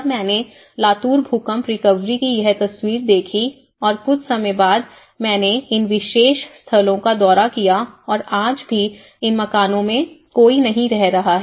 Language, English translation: Hindi, When I saw this photograph of the Latur Earthquake recovery and after some time I visited these particular sites and even today, many of these housings products they are still vacant not many people have occupied these houses